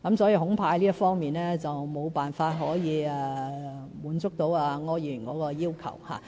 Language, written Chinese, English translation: Cantonese, 所以，恐怕這方面沒有辦法滿足柯議員的要求。, I thus cannot accede to Mr ORs request in this regard